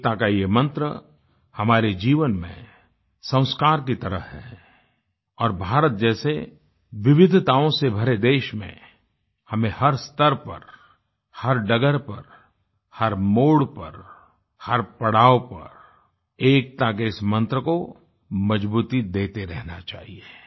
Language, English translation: Hindi, This mantra of unity is like a sacrament in our life and in a country like ours filled with diversities, we should continue to strengthen this mantra of unison on all paths, at every bend, and at every pitstop